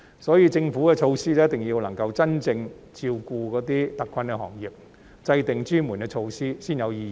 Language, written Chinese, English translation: Cantonese, 所以，政府的措施一定要真正照顧那些特困行業，制訂專門措施才具意義。, Therefore the Governments measures must truly address the needs of the hard - hit industries for only the formulation of customized measures will be meaningful